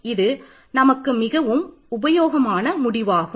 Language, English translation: Tamil, This is a very useful a result for us